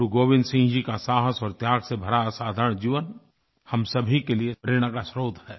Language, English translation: Hindi, The illustrious life of Guru Gobind Singh ji, full of instances of courage & sacrifice is a source of inspiration to all of us